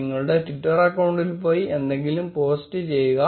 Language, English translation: Malayalam, Go to your Twitter account and post anything